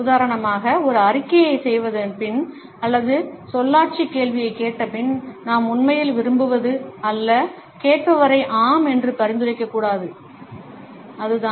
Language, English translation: Tamil, For example after making a statement or asking a rhetorical question is not that what we really want, we not to suggest the listener yes, it is